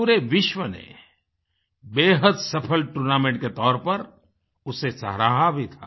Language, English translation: Hindi, The whole world acclaimed this as a very successful tournament